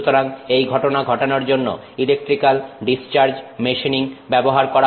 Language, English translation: Bengali, So, for that combination of things to happen electrical discharge machining is used